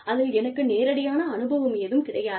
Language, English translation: Tamil, I do not have, firsthand experience